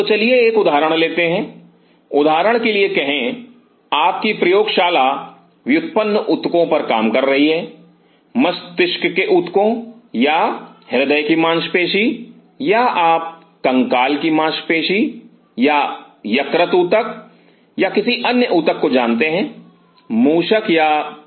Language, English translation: Hindi, So, let us take an example say for example, your lab works on deriving tissues brain tissues or cardiac muscle or you know skeletal muscle or liver tissue or some other tissue from the rat or a mouse